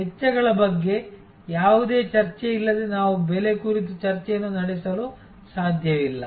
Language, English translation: Kannada, We cannot have a discussion on pricing without having any discussion on costs